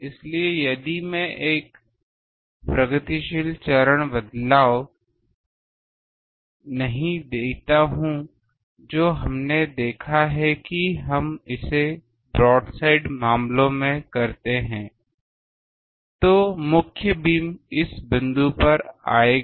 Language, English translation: Hindi, So, if I do not give a progressive phase shift which we have seen we do it in broad side cases, then the main beam will come at this point